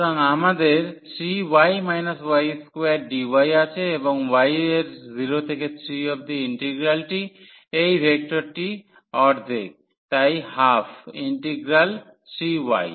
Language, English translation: Bengali, So, we have 3 y minus y square dy and the integral over y from 0 to 3 and this vector half there so, half the integral 3 y